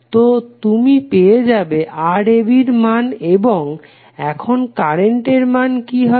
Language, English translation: Bengali, So you will simply get the value of Rab and now what would be the current